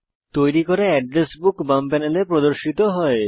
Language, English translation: Bengali, By default the Personal Address Book is selected in the left panel